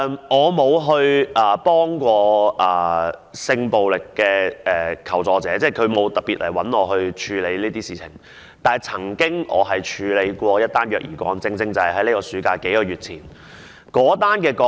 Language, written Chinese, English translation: Cantonese, 我不曾協助性暴力求助者，即他們沒有特別找我處理這些事情，但我曾處理一宗虐兒個案，正是在數個月前的暑期發生的。, I have not dealt with complaints from sexual violence victims . I mean they have never approached me and asked for my assistance . However I have handled a child abuse case which took place during the summer time a few months ago